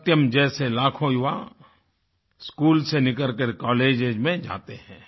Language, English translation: Hindi, Like Satyam, Hundreds of thousands of youth leave schools to join colleges